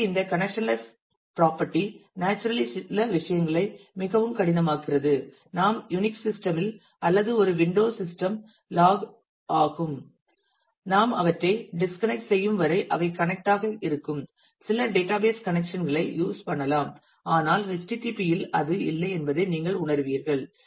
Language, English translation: Tamil, So, this connectionless property naturally makes it makes certain things more difficult; you will you will realize that many of the other connections that we do for example, if we login to UNIX system or to a window system if we use some database connections they are connected till the we disconnect them, but in http it is not